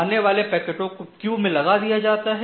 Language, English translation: Hindi, So, incoming packets are put in the packet queue